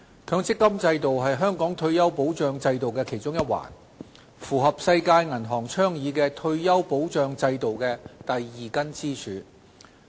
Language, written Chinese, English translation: Cantonese, 強積金制度是香港退休保障制度的其中一環，是世界銀行倡議的退休保障制度的第二根支柱。, The MPF System is one of the links of the retirement protection system in Hong Kong and it plays the role of Pillar Two under the retirement protection framework advocated by the World Bank